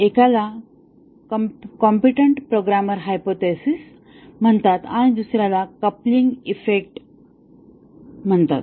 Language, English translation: Marathi, One is called as competent programmer hypothesis and the second is called as the coupling effect